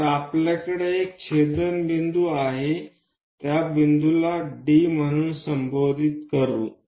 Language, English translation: Marathi, So, that we have an intersection point let us call that point as D